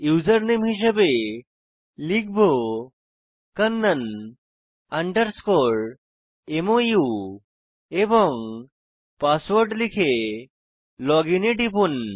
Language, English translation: Bengali, The username I will type kannan underscore Mou, Password i will login here